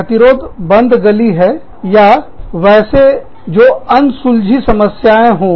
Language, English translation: Hindi, Impasses are, dead ends or issues, that remain unresolved